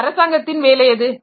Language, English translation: Tamil, So, what is the job of a government